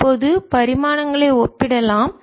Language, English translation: Tamil, now we can compare the dimensions